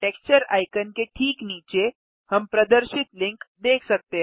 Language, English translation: Hindi, Just below the Texture icon, we can see the links displayed